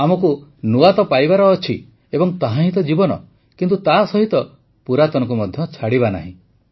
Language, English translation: Odia, We have to attain the new… for that is what life is but at the same time we don't have to lose our past